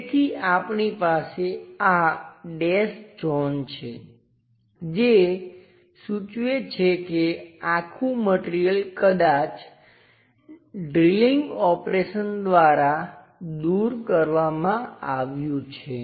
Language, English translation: Gujarati, So, we have this dashed zones indicates that this entire material has been removed maybe by a drilling operation